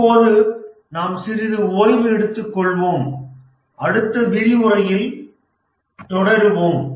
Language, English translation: Tamil, With this, we'll just take a break and we'll continue in the next lecture